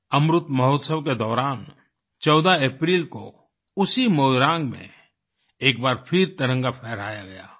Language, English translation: Hindi, During Amrit Mahotsav, on the 14th of April, the Tricolour was once again hoisted at that very Moirang